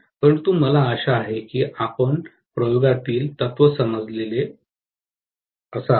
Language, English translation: Marathi, But I hope you understand the principle behind the experiment